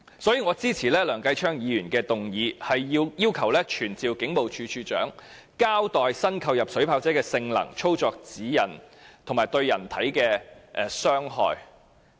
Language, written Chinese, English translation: Cantonese, 因此，我支持梁繼昌議員的議案，要求傳召警務處處長交代新購入的水炮車的性能、操作指引及對人體的傷害。, Thus I support Mr Kenneth LEUNGs motion to summon the Commissioner of Police to give an account of the performance operation guidelines and the impacts on human body in relation to the Polices newly purchased water cannon vehicles